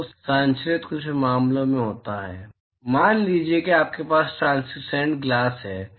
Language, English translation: Hindi, So, transmitted is in some cases, supposing if you have a translucent glass